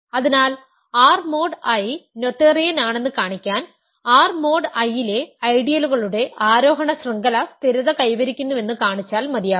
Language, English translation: Malayalam, So, to show that R mod I is noetherian, it is enough to show that every ascending chain of ideals in R mod I stabilizes